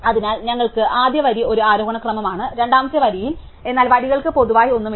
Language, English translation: Malayalam, So, we have the first row is an ascending order, second row in, but the rows themselves have nothing in common with each other